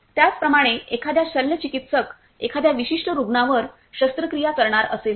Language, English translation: Marathi, Similarly, if a surgeon is going to operate on a particular patient